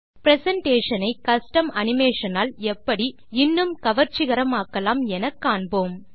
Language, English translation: Tamil, Lets learn how to use custom animation to make our presentation more attractive